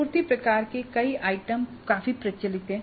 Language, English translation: Hindi, Supply, supply type items are fairly well known